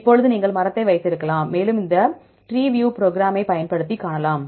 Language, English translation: Tamil, Now, you can have the tree and you can view the tree using this program called TreeView right